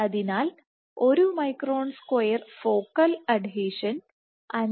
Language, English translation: Malayalam, So, 1 micron square focal adhesion sustains a force of 5